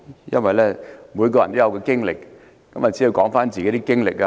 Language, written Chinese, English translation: Cantonese, 因為每個人都有自己的經歷，只要說出自己的經歷便可。, Since all people have their own experience they can simply talk about their personal experience